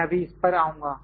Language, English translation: Hindi, I will just come to that